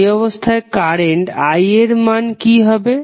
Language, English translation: Bengali, You will get the value of current I